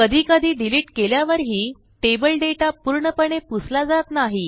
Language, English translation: Marathi, And, sometimes, deleting table data does not purge the data completely